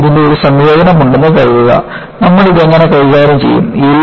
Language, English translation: Malayalam, Suppose, I have a combination of this, how do you handle this